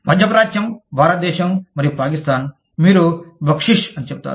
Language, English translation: Telugu, Middle east, India, and Pakistan, you will say Baksheesh